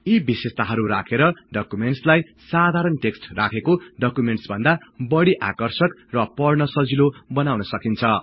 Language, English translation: Nepali, Applying these features in the documents make them more attractive and much easier to read as compared to the documents which are in plain text